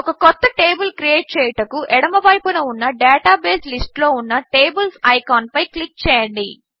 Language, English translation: Telugu, To create a new table, click the Tables icon in the Database list on the left